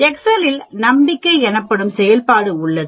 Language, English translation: Tamil, In excel there is function called Confidence